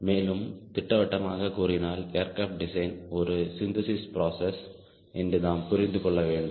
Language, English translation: Tamil, and to be specific, we need to understand that aircraft design is a synthesis process, right